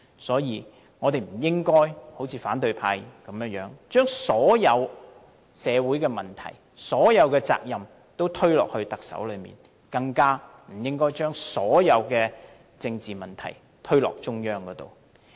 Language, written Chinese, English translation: Cantonese, 所以，我們不應該好像反對派那樣，將所有社會問題和責任推給特首，更不應該將所有政治問題推給中央。, So we should not behave like the opposition camp and ascribe all social problems to the Chief Executive laying all the responsibilities on him . More importantly we should not blame the Central Authorities for all the political problems